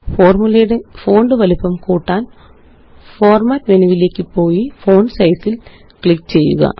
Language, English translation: Malayalam, To increase the font size of the formulae, go to Format menu and click on Font Size